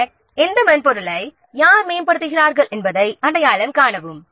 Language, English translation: Tamil, Then identify who upgrades which software